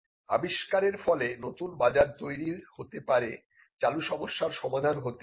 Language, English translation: Bengali, Now, inventions can create new markets, inventions can offer solutions to existing problems